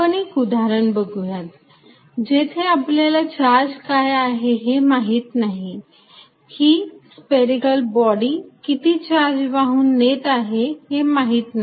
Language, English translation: Marathi, Let us look at an example, so where you do not specify the charge, how much charge the spherical body carries